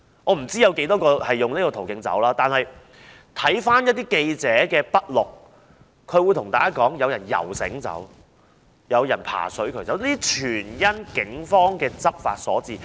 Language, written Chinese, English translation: Cantonese, 我不知道有多少人循此途徑離開，但從記者的筆錄可知，當時有人游繩或爬水渠離開，這些情況全因警方執法所致。, I do not know how many of them have left through this channel yet according to the written records of reporters some of them left by shimmying down ropes from a bridge or crawling out through the sewer system . These scenarios are the results of the law enforcement actions of the Police